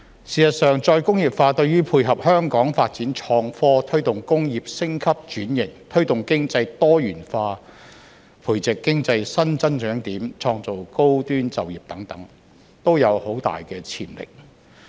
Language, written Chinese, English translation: Cantonese, 事實上，再工業化對於配合香港發展創科、推動工業升級轉型、推動經濟多元化、培植經濟新增長點、創造高端就業等，都有很大潛力。, In fact re - industrialization has enormous potential to complement among others Hong Kongs development of innovation and technology the promotion of industrial upgrading and transformation the diversification of our economy the nurturing of new growth areas in the economy the creation of high - end jobs